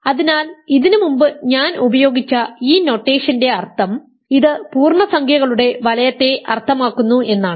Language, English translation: Malayalam, So, this notation I have used before this simply means that this means in the ring of integers we know what this means